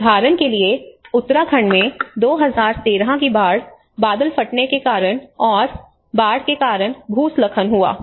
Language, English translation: Hindi, Like for instance in Uttarakhand 2013 flood, a cloudburst have resulted in the floods, and floods have resulted in the landslides